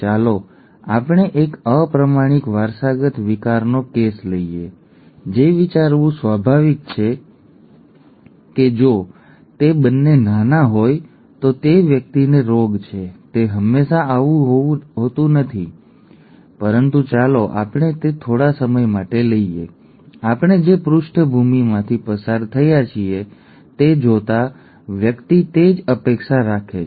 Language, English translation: Gujarati, Let us take the case of a recessively inherited disorder, okay, which is what would be natural to think if it is both small then the person has the disease, that is not always the case but let us, let us take that for the time being, that is what would be, that is what one would expect given the background that we have been through